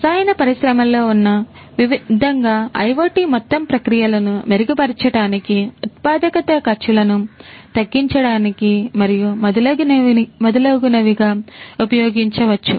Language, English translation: Telugu, In the chemical industry likewise IoT could be used for improving the overall processes, productivity reducing costs and so on and so forth